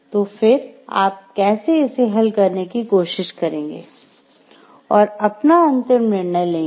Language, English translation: Hindi, And then how you try to solve for that and take a your ultimate decision